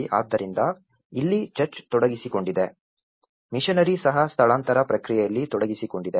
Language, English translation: Kannada, So, here, the church was involved, the missionary is also involved in the relocation process